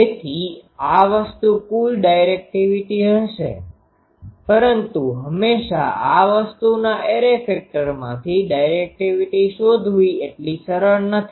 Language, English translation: Gujarati, So, the total directivity will be this thing, but always finding the directivity from this thing array factor is not so easy